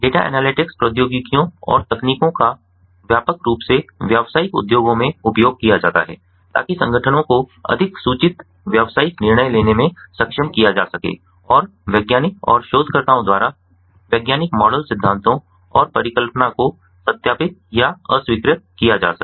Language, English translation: Hindi, data analytics technologies and techniques are widely used in commercial industries to enable organizations to make more informed business decisions, and by scientist and researchers to verify or disprove the scientific models, theories and hypothesis